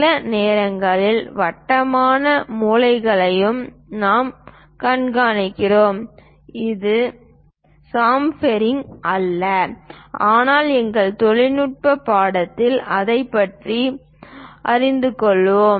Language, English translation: Tamil, We see sometimes rounded corners also that is not chamfering, but we will learn about that during our technical course